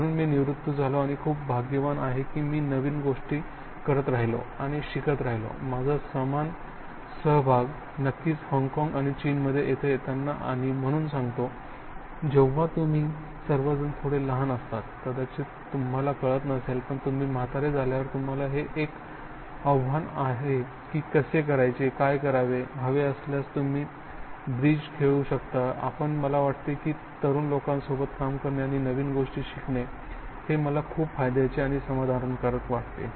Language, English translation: Marathi, So I did retire and I have been very very fortunate that I keep doing and learning new things, certainly coming here I have similar involvement in Hong Kong and China and that is being nourishing and so when you people all are quite a bit younger, you may not realise but it is a challenge how to, what to do when you grow old you can play bridge if you want to but I think that, I find is very rewarding and satisfying working with young people and learning new things